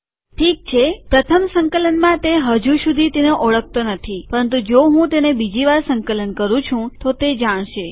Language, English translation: Gujarati, Okay, it doesnt know it yet in the first compilation, but if I compile it a second time it will know